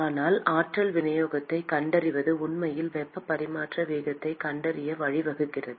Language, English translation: Tamil, But, finding the energy distribution is really leading towards finding the heat transfer rate